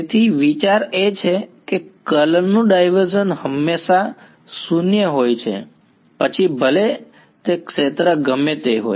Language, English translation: Gujarati, So, the idea is that divergence of curl is always 0 regardless of what the field is